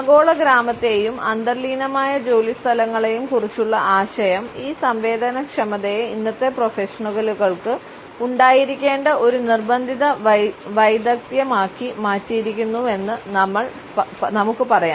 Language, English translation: Malayalam, Further we can say that the idea of the global village and the interracial workplaces has made this sensitivity almost a must skill which professionals today must possess